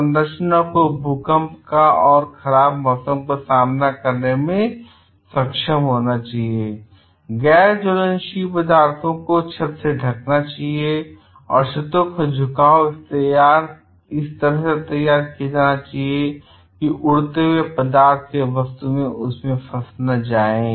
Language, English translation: Hindi, Structure should be able to withstand earthquakes and heavy weather, roof coverings should be made from non flammable materials and roofs overhangs should be fashioned so flying embers will not be trapped